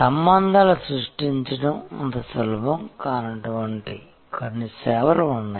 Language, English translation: Telugu, There are certain services where creating relationship is not that easy